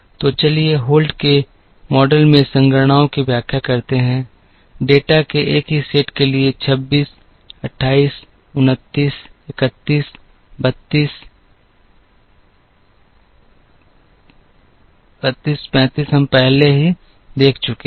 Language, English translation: Hindi, So, let us explain the computations in the Holt’s model, for the same set of data 26 28 29 31 32 35, we have already seen